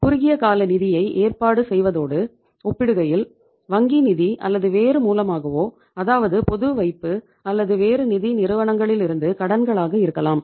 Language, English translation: Tamil, As compared to arranging the short term funds, short term funds are basically the bank finance or maybe you are arranging it from the different sources, maybe uh say public deposits or maybe loans from other financial institutions